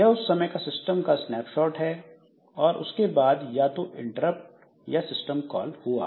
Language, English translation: Hindi, So, this is by a particular snapshot of the system and then some interrupt or system call has occurred